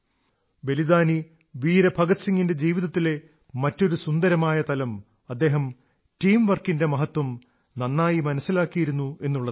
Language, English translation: Malayalam, Another appealing aspect of Shahid Veer Bhagat Singh's life is that he appreciated the importance of teamwork